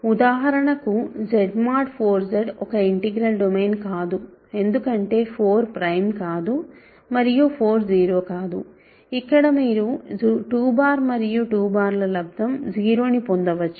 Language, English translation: Telugu, For example, Z mod 4 Z is not an integral domain because 4 is not prime and 4 is not 0, there you can get 2 bar times 2 bar is 0